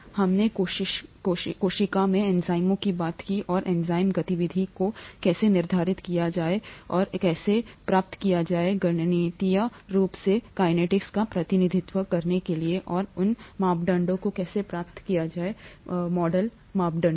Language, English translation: Hindi, We talked of enzymes in the cell and how to quantify the enzyme activity and how to get how to represent the kinetics mathematically and how to get those parameters, the model parameters